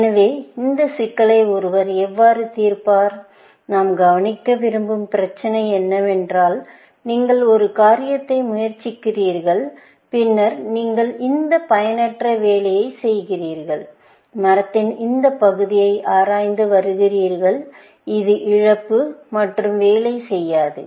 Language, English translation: Tamil, So, how does one solve this problem of doing, what is the issue that we want to address is that; you tried one thing and then, you are doing this useless work, exploring this part of the tree, which will loss and not going to work